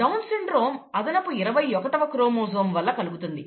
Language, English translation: Telugu, Down syndrome is caused by an extra chromosome number twenty one